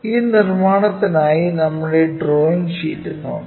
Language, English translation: Malayalam, So, let us look at our drawing sheet for this construction